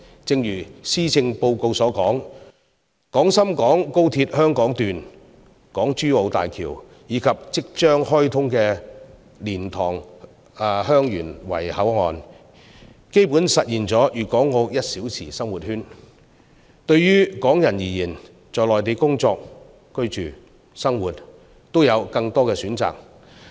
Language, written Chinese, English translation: Cantonese, 正如施政報告所說，廣深港高速鐵路香港段、港珠澳大橋，以及即將開通的蓮塘/香園圍口岸，基本實現了粵港澳"一小時生活圈"，對於港人而言，在內地工作、居住、生活都有更多選擇。, As stated in the Policy Address with the commissioning of the Hong Kong Section of the Guangzhou - Shenzhen - Hong Kong Express Rail Link and the HongKong - Zhuhai - Macao Bridge HZMB as well as the new land boundary control point at LiantangHeung Yuen Wai to be opened soon a one - hour living circle encompassing Guangdong Hong Kong and Macao is basically formed . For Hong Kong people there will be more choices in working and living in the Mainland